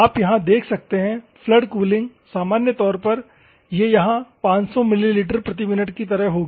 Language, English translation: Hindi, The flood cooling, normally, it will be like 500 ml per minute here